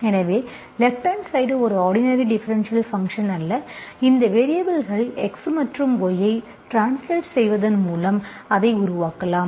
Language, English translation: Tamil, So right hand side is not a homogeneous function, you can make it by simply translating these variables x and y